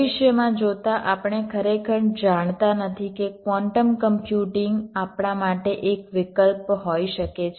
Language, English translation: Gujarati, looking into the feature, we really do not can quantum computing be an option for us